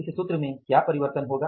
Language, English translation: Hindi, So, what will be the formula